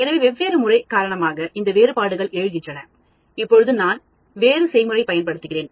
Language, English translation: Tamil, So, these variations arise because of different treatments; now I use a different treatment strategy